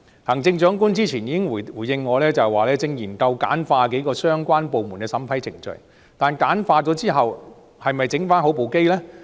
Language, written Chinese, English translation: Cantonese, 行政長官之前曾回應我，正研究簡化數個相關部門的審批程序，但簡化是否代表焗麵包機維修好呢？, The Chief Executive replied to me that the Government is simplifying the approval procedures of several relevant departments but does that mean the bread - baking machine has been fixed?